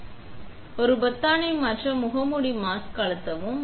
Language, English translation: Tamil, We put a, we press the button form change mask on the screen